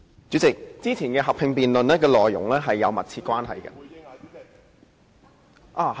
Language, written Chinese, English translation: Cantonese, 主席，以往進行合併議論的議題是有密切關係的。, President the subjects for joint debates held previously were closely related